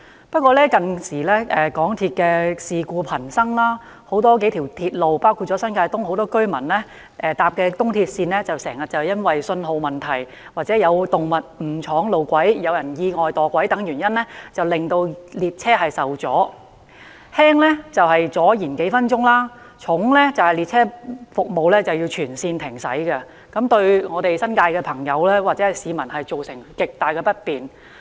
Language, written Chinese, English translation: Cantonese, 不過，港鐵近年事故頻生，數條鐵路線，包括很多新界東居民乘搭的東鐵線，經常因為信號問題、有動物闖入路軌、有人意外墮軌等原因，令列車服務受阻，輕則延誤服務數分鐘，重則導致列車全線停駛，對新界市民造成極大不便。, However in recent years there was frequent occurrence of MTR incidents . Several railway lines including the East Rail Line used by many New Territories East residents were affected frequently due to signalling failure the straying of animals into track areas falling of people onto the tracks by accident etc . The train services were stalled a few minutes or the whole railway line came to a complete halt and created much inconvenience to the New Territories residents